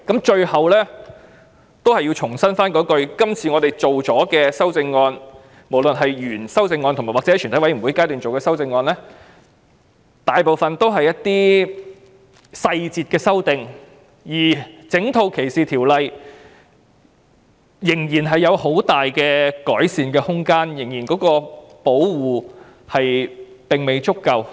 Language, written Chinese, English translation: Cantonese, 最後，我重申今次的法例修訂及全體委員會審議階段的修正案，大部分都是細節上的修訂，整套歧視條例仍然有很大的改善空間，因為保護並未足夠。, This will be more effective . Finally I reiterate that the legislative amendments as well as the Committee stage amendments are mostly dealing with details . There is still a lot of room for improvement in the entire discrimination legislation because protection is not adequate